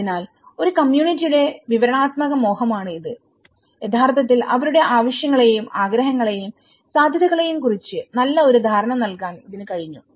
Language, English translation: Malayalam, So, this has been the descriptive lure of a community have actually given a significant understanding of their needs and wants and the feasibilities